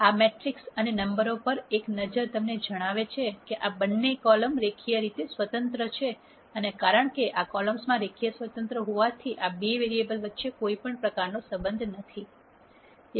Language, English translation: Gujarati, A quick look at this matrix and the numbers would tell you that these two columns are linearly independent and subsequently because these columns are linearly independent there can be no relationships among these two variables